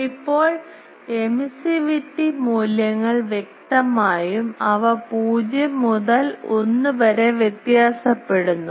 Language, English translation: Malayalam, Now the emissivity values obviously, they are varying from 0 to 1